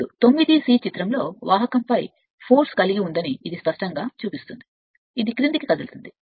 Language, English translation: Telugu, Now, this clearly shows that conductor in figure has a force on it which tends to move in downward